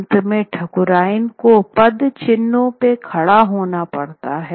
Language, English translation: Hindi, In the end, the Thakurian had to stand there in the footprints